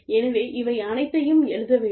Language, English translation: Tamil, So, all of this should be written down